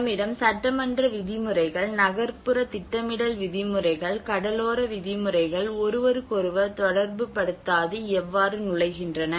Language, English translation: Tamil, Mismatches regarding the norms: when we have the legislative norms, urban planning norms, coastal regulations how they enter do not relate to each other that is one aspect